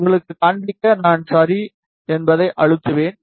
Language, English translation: Tamil, Just to show you, I will just then press ok